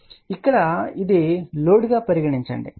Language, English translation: Telugu, So, here let us look at this is the load